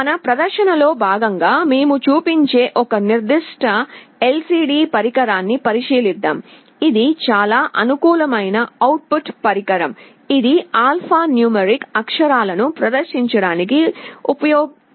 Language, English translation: Telugu, Let us consider one particular LCD device that we shall be showing as part of our demonstration, this is a very convenient output device, which can be used to display alphanumeric characters